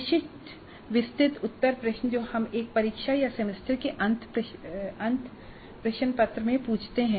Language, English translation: Hindi, Our typical detailed answer questions that we ask in a test or semester end question paper, they belong to the supply type items